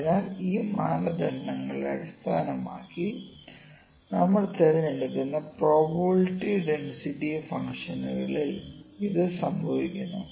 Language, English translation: Malayalam, So, this is happening in probability density functions we choose the distribution based upon these criteria